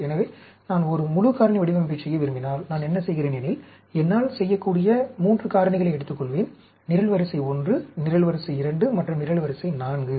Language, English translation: Tamil, So, if I want to do a full factorial design, what I do is, I will take 3 factors I can do; column 1, column 2 and column 4